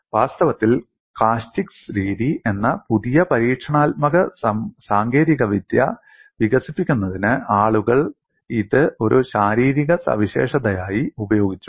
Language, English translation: Malayalam, In fact, people have utilized this as a physical feature to develop a new experimental technical called method of caustics